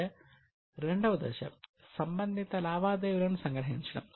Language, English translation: Telugu, So, the second step is summarizing the related transactions